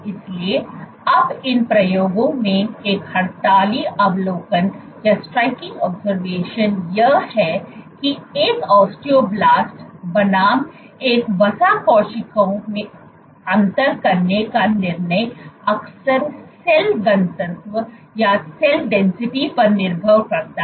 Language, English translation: Hindi, So, now one of the striking observations in these experiments is that the decision to differentiate into an adipose cell versus an osteoblast is often dependent on the “Cell Density”